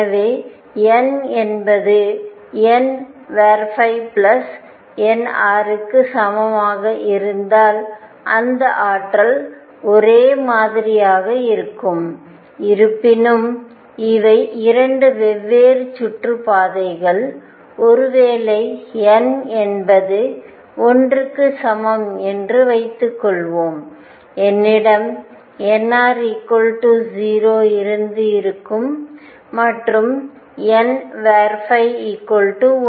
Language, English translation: Tamil, So, if n equals n r plus n phi are the same energy will be the same; however, these are 2 different orbits for example, suppose n is equal to one I could have n r equals 0 and n phi equals 1